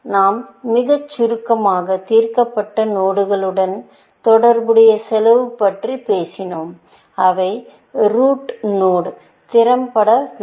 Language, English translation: Tamil, We have just very briefly, talked about the cost associated with solved nodes and which, have to be aggregated into the root node